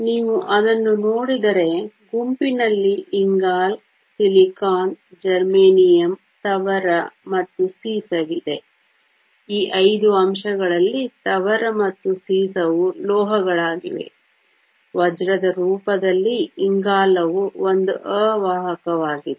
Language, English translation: Kannada, if you look at it the group has carbon, silicon, germanium, tin and lead, out of this five elements tin and lead are metals; carbon in the form of diamond is an insulator